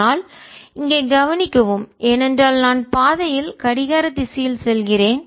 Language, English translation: Tamil, but notice that because i am going along the counter, along counter clockwise the path